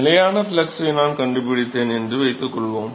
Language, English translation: Tamil, So, suppose I find for the constant flux case